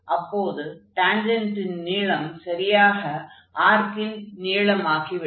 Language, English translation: Tamil, That means, along this tangent will become exactly the arc length